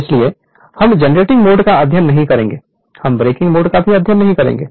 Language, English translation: Hindi, So, we will not study um generating mode, we will not study breaking mode also only this part